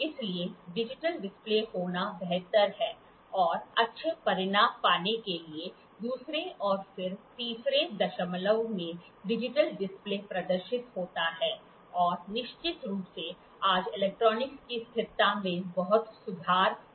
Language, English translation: Hindi, So, it is better to have a digital display and the digital display displays to the second and then third decimal to get good results and of course, today electronics are the stability of the electronics have improved a lot